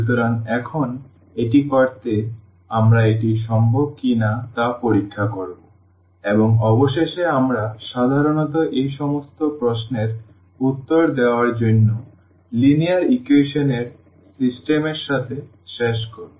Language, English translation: Bengali, So, now, to do so, we will check whether it is possible or not and eventually we end up usually with the system of linear equations to answer all these questions